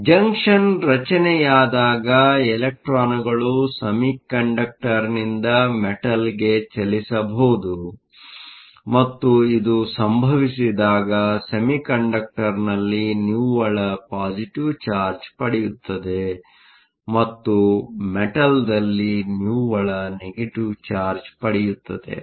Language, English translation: Kannada, So, when the junction is formed, electrons can move from the semiconductor to the metal and when this happens there is a net positive charge on the semiconductor and there is a net negative charge in the metal